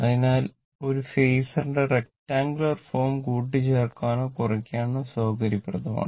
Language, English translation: Malayalam, So, the rectangular form of expressing a phasor is convenient for addition or subtraction, right